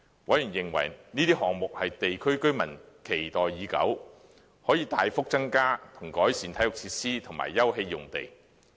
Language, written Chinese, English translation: Cantonese, 委員認為這些項目是地區居民期待已久，可以大幅增加和改善體育設施及休憩用地。, Members considered that these projects were long - awaited by the districts and could significantly increase the provision of and improve existing sports and recreation facilities as well as open spaces